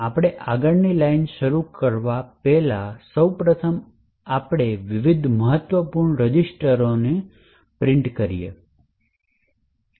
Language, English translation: Gujarati, So, first of all before we invoke the next line let us print what are the contents of the various important registers